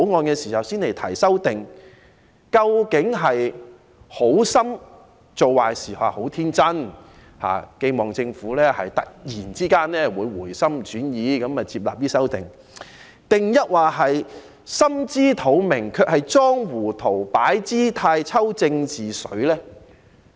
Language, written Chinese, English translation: Cantonese, 究竟他們是好心做壞事，十分天真的期望政府突然會回心轉意，接納他們的修正案，還是心知肚明卻裝糊塗、擺姿態、"抽政治水"呢？, Are they doing a disservice with good intentions? . Are they so naïve as to expect that the Government will change its mind and accept their amendments? . Or do they understand the situation fully but only pretend to be foolish in order to put up a show and take advantage of the situation for political gains?